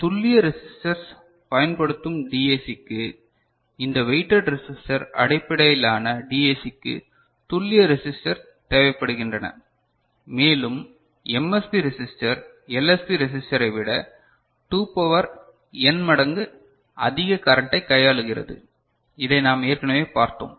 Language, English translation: Tamil, And for DAC using precision resistors ok – for this weighted resistor based DAC, the precision resistors are required and MSB resistor handles 2 to the power n minus 1 times more current than LSB resistor this we have already seen